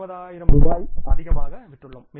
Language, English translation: Tamil, We have sold for by 20,000 rupees more